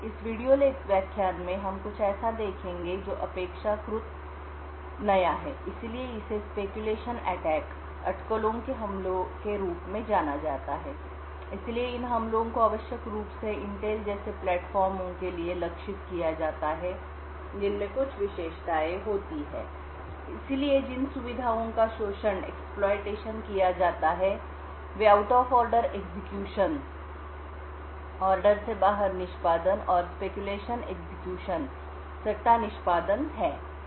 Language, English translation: Hindi, In this video lecture we will look at something which is relatively new, so it is known as speculation attacks so these attacks are essentially targeted for Intel like platforms which have certain features, so the features which are exploited are the out of order execution and the speculative execution